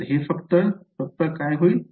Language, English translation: Marathi, So, this will just be